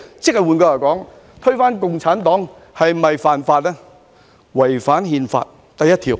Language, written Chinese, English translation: Cantonese, "換句話說，推翻共產黨便是違反《憲法》第一條。, In other words overthrowing the Communist Party is in breach of Article 1 of the Constitution